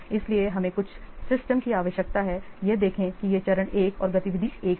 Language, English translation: Hindi, So, we require some system, see, this is stage one and activity one